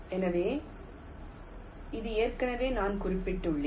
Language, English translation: Tamil, ok, so this already i have mentioned